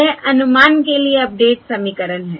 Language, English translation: Hindi, okay, This is the update equation